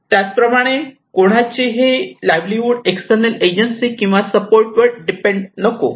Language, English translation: Marathi, Also, someone's livelihood should not depend on external agencies, external support